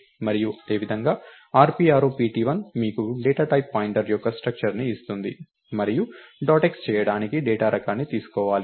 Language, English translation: Telugu, And similarly rp arrow pt1 will give you a structure of the data type point and its now ok to take the data type to do a dot x